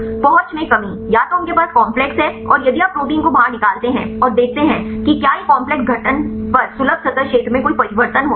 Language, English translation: Hindi, Reduction accessibility, either they have the complex and if you take out the protein and see whether any change in accessible surface area upon complex formation